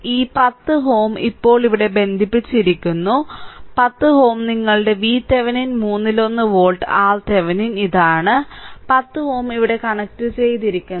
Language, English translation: Malayalam, And with this this 10 ohm your this 10 ohm now is connected here, 10 ohm is this is your V Thevenin one third volt R Thevenin is this one and 10 ohm is connected here with that